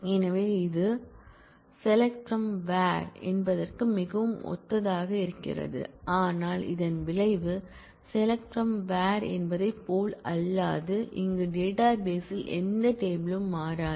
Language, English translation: Tamil, So, it is very similar to the select from where, but the effect is unlike select from where, where no tables change in the database here